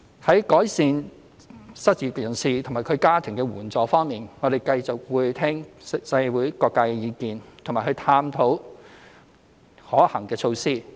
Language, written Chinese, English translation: Cantonese, 在改善失業人士及其家庭的援助方面，我們會繼續聆聽社會各界的意見及探討可行的措施。, We will continue to listen to the views from various sectors of the community and explore feasible measures in regard to enhancing the assistance provided for the unemployed and their families